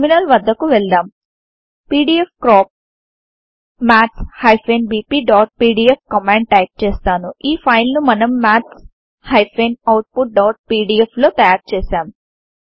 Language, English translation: Telugu, Let me type the command pdfcrop maths bp.pdf this is the file we created, into maths out.pdf